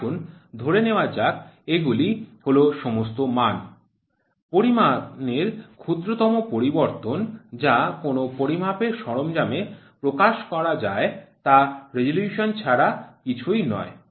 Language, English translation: Bengali, The let us assume these are all values; the smallest change of the measured quantity which changes the indication of a measuring equipment is nothing, but resolution